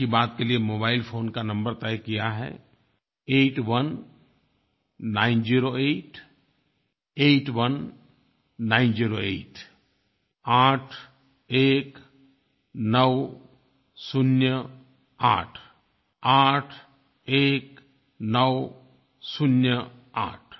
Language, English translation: Hindi, The number kept for Mann Ki Baat is 8190881908, eight one nine zero eight, eight one nine zero eight